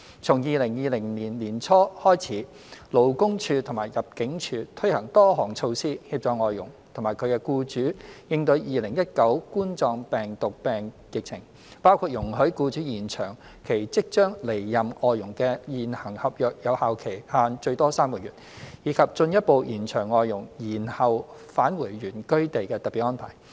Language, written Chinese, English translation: Cantonese, 從2020年年初開始，勞工處及入境處推行多項措施，協助外傭及其僱主應對2019冠狀病毒病疫情，包括容許僱主延長其即將離任外傭的現行合約有效期限最多3個月，以及進一步延長外傭延後返回原居地的特別安排。, Since early 2020 the Labour Department LD and ImmD have put in place various measures to help FDHs and their employers cope with the COVID - 19 pandemic including allowing employers to extend the validity period of the existing contracts with their outgoing FDHs for a maximum of three months and further extending the special arrangement for FDHs to defer their return to their place of origin